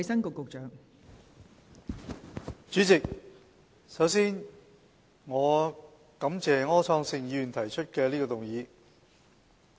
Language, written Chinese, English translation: Cantonese, 代理主席，首先，我感謝柯創盛議員提出這項議案。, Before all else Deputy President I would like to thank Mr Wilson OR for proposing this motion